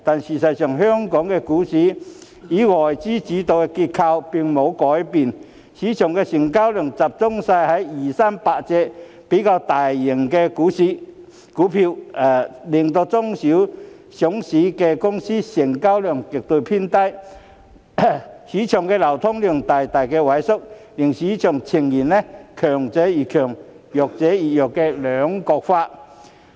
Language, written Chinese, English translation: Cantonese, 事實上，香港股市以外資主導的結構並沒有改變，市場的成交量集中在二三百隻市值最大的股份，令中小型上市公司成交額偏低，市場流通量大大萎縮，市場呈現強者越強，弱者越弱的兩極分化。, The fact is however there is no change in the structure of the Hong Kong stock market which is dominated by foreign investments . The transaction volume of the market mainly comes from 200 to 300 stocks with the highest market values whereas the small and medium listed companies have relatively lower turnover and their market liquidity has shrunk substantially . The market is polarized with the strong getting stronger and the weak becoming weaker